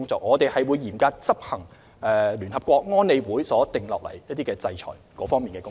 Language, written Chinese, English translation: Cantonese, 我們會嚴格執行聯合國安理會所訂定的制裁工作。, We will stringently enforce the sanctions adopted by UNSC